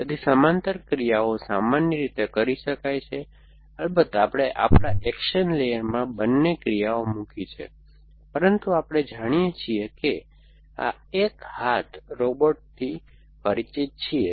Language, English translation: Gujarati, So, parallel actions are in general allowed, of course we have put both is actions in our action layer, but we know that, now familiar with this one arm robot